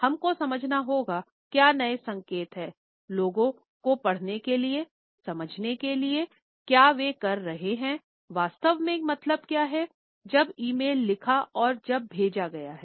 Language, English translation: Hindi, We have to understand, what are the new cues and signals of being able to read people, to understand what do they really mean, when they wrote that e mail when they sent